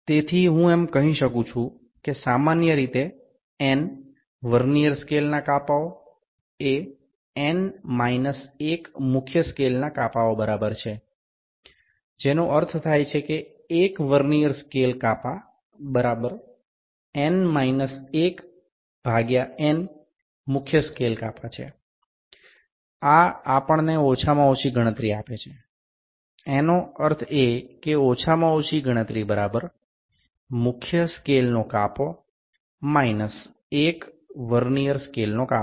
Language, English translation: Gujarati, So, I can say that in general n Vernier scale divisions is equal to n minus 1 main scale divisions which means 1 Vernier scale division is equal to n minus 1 by n main scale division, this gives us the least count; that means, least count is equal to 1 main scale division minus 1 Vernier scale division